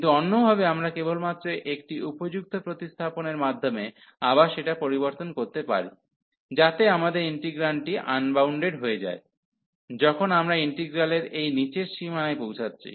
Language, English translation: Bengali, But, the other way we can just converted by a suitable substitution to again, so that our integrand is going to unbounded, when we are approaching to this lower boundary of the integral